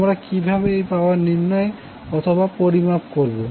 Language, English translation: Bengali, How will calculate or how will measure this power